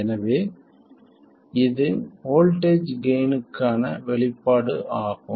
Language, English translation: Tamil, So this is the expression for the voltage gain